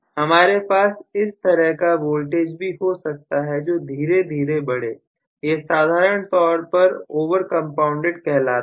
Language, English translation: Hindi, So, I may have actually the voltage slowly increasing that is essentially known as the over compounded